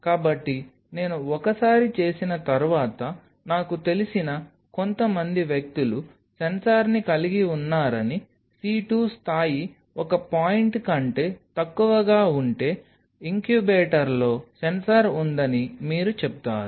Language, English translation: Telugu, So, some people I know once I did it there was sensor you will say if the C2 level goes down below a point of course, the incubator has sensor